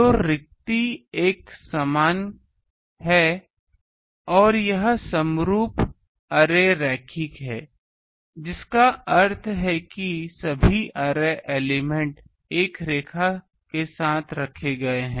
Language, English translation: Hindi, So, spacing is uniform this is the minimum uniform array linear means the all array elements are placed along a line